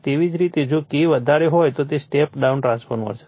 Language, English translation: Gujarati, So, that is K greater than for step down transformer